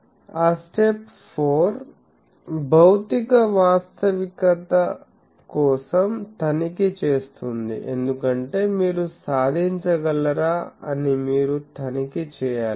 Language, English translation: Telugu, That step 4 is check for physical realizability, because whether that is achieved that you can you should check